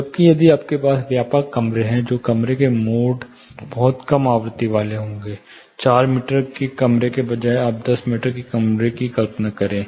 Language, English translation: Hindi, Whereas if you have wider rooms, the room modes occur very low frequency marginal; say instead of four meter room, you imagine a 10 meter room